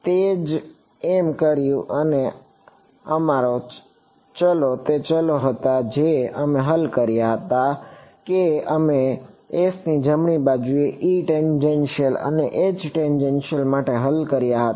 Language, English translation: Gujarati, That is what we did and our variables were the variables that we solved that we solved for the E tangential and H tangential on S right